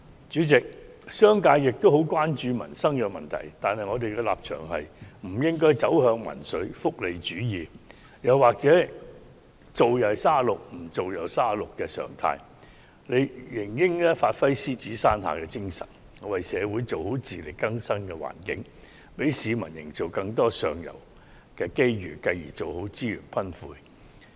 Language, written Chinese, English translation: Cantonese, 主席，商界也很關注民生問題，但我們的立場是不應走向民粹、福利主義，又或"做又三十六，唔做又三十六"的常態，而應發揮獅子山下的精神，為社會做好自力更生的環境，為市民營造更多上游機遇，繼而做好資源分配。, President the business sector also attaches great importance to livelihood issues but our position is that we should not move towards populism welfarism or the norm of getting the same pay no matter if one works hard or not . Instead we should create a favourable environment for pursuing self - reliance in line with the Lion Rock Spirit as well as more opportunities for upward mobility for the general public with the aim of doing a good job in resource allocation